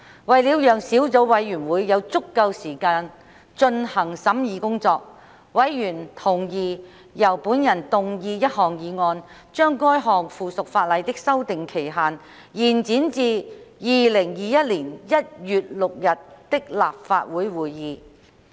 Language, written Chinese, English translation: Cantonese, 為了讓小組委員會有足夠時間進行審議工作，委員同意由本人動議一項議案，將該項附屬法例的修訂期限延展至2021年1月6日的立法會會議。, To allow sufficient time for the Subcommittee to conduct the scrutiny work members agreed that a motion be moved by me to extend the period for amending the subsidiary legislation to the Council meeting on 6 January 2021